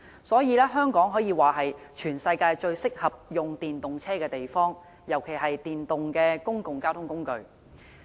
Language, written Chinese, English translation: Cantonese, 所以，香港可說是全世界最適合使用電動車的地方，尤其是電動的公共交通工具。, Hence the Study says Hong Kong is the worlds most suitable place for using EVs especially in terms of electric public transport